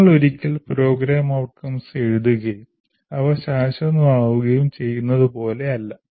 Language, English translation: Malayalam, So it is not as if you write the program outcomes once and they are permanent